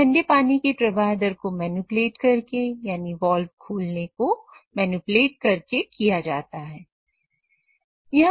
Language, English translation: Hindi, This is done by manipulating the cooling water flow rate by using this particular actuation